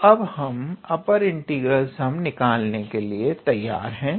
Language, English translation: Hindi, So, now we are ready to calculate our upper integral sum